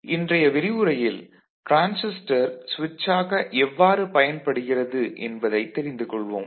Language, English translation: Tamil, So, in today’s lecture we shall cover Transistor as a switch